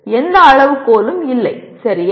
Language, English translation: Tamil, And there is no criterion, okay